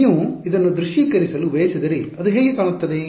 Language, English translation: Kannada, If you wanted to visualize this what does it look like